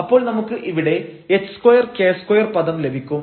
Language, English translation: Malayalam, So, we have h square r square